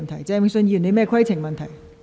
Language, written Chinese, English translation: Cantonese, 鄭泳舜議員，你有甚麼規程問題？, Mr Vincent CHENG what is your point of order?